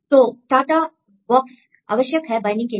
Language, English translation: Hindi, So, TATA box is important for the binding